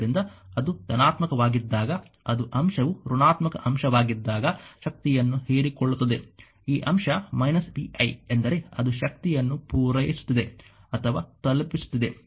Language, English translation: Kannada, So, when it is positive then it is element is absorbing power when it is negative element this element minus vi means it is supplying or delivering power right that is why it is minus vi